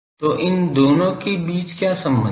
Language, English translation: Hindi, So, what is the relation between these two